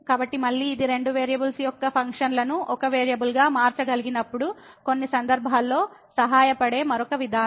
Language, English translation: Telugu, So, again this is another approach which could be helpful in some cases when we can change the functions of two variables to one variable